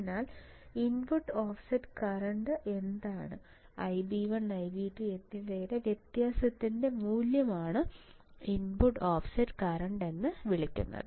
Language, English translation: Malayalam, So, what is it input offset current the difference in magnitudes of I b 1 and I b 2 is called input offset current; so, easy right